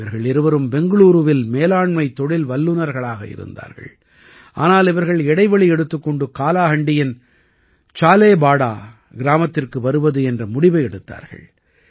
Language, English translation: Tamil, Both of them were management professionals in Bengaluru, but they decided to take a break and come to Salebhata village of Kalahandi